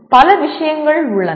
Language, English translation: Tamil, There are several things in this